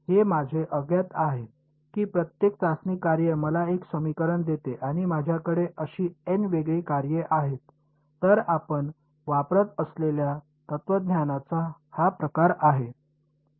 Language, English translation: Marathi, That is my unknown every testing function gives me one equation and I have n such distinct functions; so, that is that is the sort of philosophy that we use